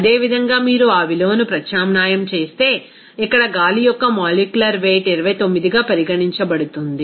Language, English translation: Telugu, Similarly, if you substitute that value, here the molecular weight of air is considered as 29